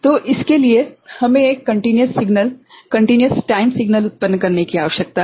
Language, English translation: Hindi, So, for that we need to generate a continuous signal continuous time signal right